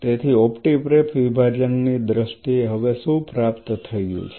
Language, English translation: Gujarati, So, as of now in terms of the optiprep separation what all has been achieved